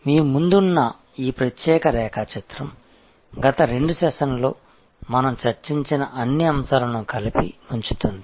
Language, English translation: Telugu, This particular diagram which is in front of you puts together all the points that we discussed in the last couple of sessions